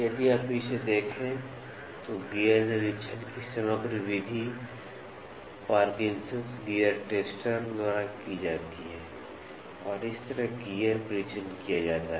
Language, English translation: Hindi, If, you look at it, the composite method of gear inspection is done by Parkinson’s Gear Tester, this is how is a gear testing done